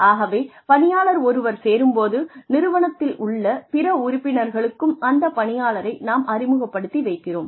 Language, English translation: Tamil, So, when the employee joins, we introduce the employee to other members of the organization